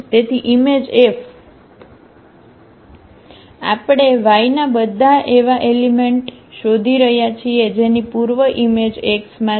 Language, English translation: Gujarati, So, image F what we are looking for the all the elements in y whose pre image is there in X